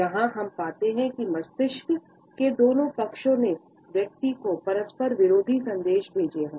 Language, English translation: Hindi, Here, we find that the two sides of the brain sent conflicting messages to the person